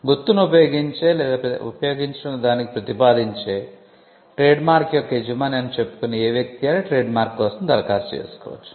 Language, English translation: Telugu, Any person claiming to be the proprietor of a trademark, who uses the mark or propose to use it can apply for a trademark